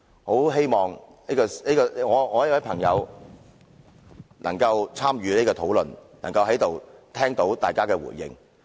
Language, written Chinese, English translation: Cantonese, 我很希望我這位朋友能參與這項討論，能在此聽到大家的回應。, I earnestly hope that this friend of mine can be here today to participate in this debate and listen to our responses